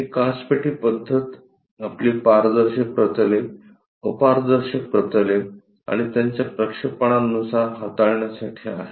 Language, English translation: Marathi, This glass box method is to deal with our transparent planes, opaque planes and their projections